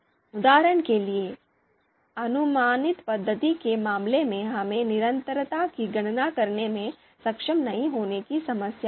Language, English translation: Hindi, So for example approximate method, we had the problem of that we could not compute consistency